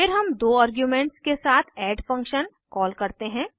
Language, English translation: Hindi, Then we call the add function with two arguments